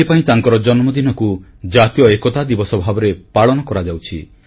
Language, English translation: Odia, And that is why his birthday is celebrated as National Unity Day